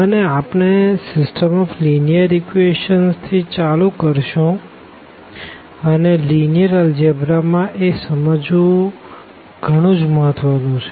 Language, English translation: Gujarati, And, we will start with the system of linear equations and again this is a very important to understand many concepts in linear algebra